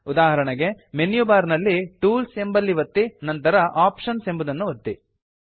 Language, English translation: Kannada, For example, click on the Tools option in the menu bar and then click on Options